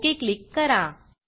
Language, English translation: Marathi, and Click OK